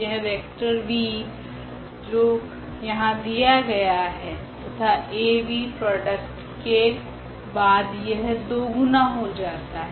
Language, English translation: Hindi, So, this vector v which is given here as is exactly this one and then the Av after this product it is just the 2 times